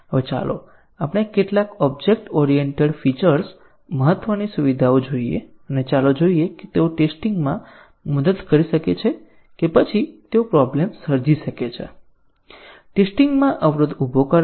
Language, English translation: Gujarati, Now, let us look at some of the object oriented features important features and let us see whether they can help in testing or they create problems, hinder testing